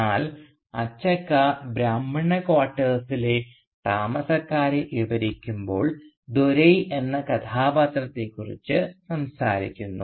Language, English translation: Malayalam, But Achakka, while describing the residents of the Brahmin quarters, talks about a character called Dore